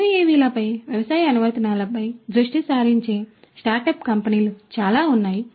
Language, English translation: Telugu, And also there are a lot of startup companies on UAVs which are focusing on agricultural application